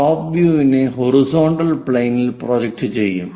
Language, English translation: Malayalam, So, top view projected on to horizontal plane